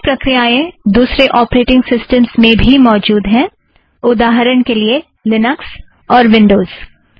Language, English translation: Hindi, Similar methods are available in other operating systems such as Linux and Windows